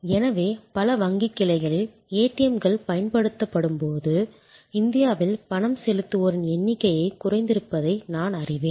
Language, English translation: Tamil, So, as I know that in a many bank branches they had actually reduce the number of tellers in India when ATM's where deployed